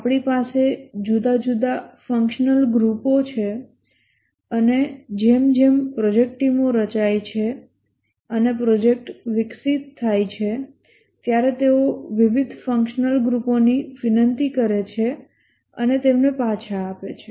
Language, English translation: Gujarati, We have different functional groups and as the project teams are formed and the project develops, they request from different functional groups and return them